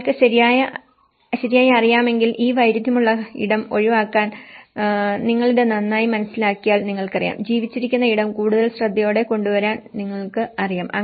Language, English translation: Malayalam, When we know properly, that in order to avoid this conflicted space if you actually understand this better, you know, that can actually you know bring the lived space more carefully